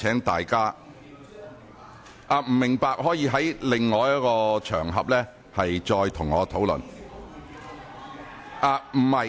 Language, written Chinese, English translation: Cantonese, 不明白的議員可以在其他場合再與我討論。, Those Members who do not understand can discuss with me on other occasions